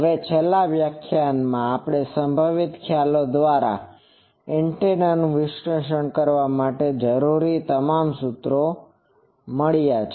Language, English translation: Gujarati, Now in the last lecture, we have found all the formulas required to analyze the antenna by the potential concepts